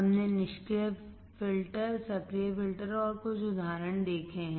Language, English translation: Hindi, We have seen the passive filter, active filter and some of the examples